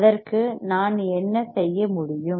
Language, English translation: Tamil, So, what can I do